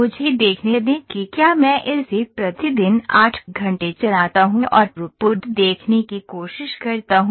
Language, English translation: Hindi, So, let me see if I run it for an 8 hour day and try to see the throughput open it have to see throughput